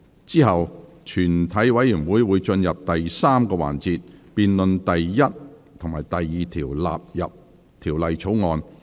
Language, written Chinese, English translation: Cantonese, 之後全體委員會會進入第3個環節，辯論第1及2條納入《條例草案》。, After that the committee will proceed to the third session in which a debate on clauses 1 and 2 standing part of the Bill will be conducted